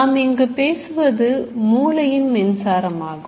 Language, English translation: Tamil, What is this actual electrical activity in the brain